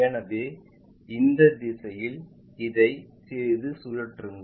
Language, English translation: Tamil, So, the slightly rotate this in this direction